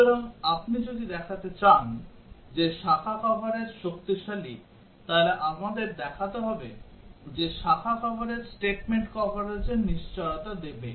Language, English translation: Bengali, So if you want to show that branch coverage is stronger then we have to show that branch coverage will guarantee the statement coverage